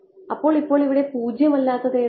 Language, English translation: Malayalam, So, what will be non zero over here